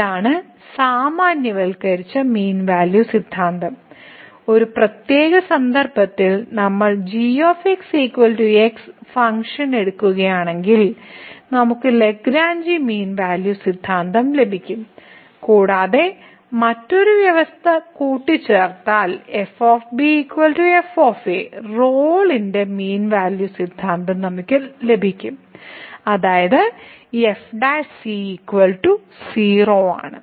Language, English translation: Malayalam, So, this is the generalized mean value theorem and as a particular case if we take the function is equal to we will get the Lagrange mean value theorem and again if we add another condition that is equal to we will get the Rolle’s mean value theorem which is prime is equal to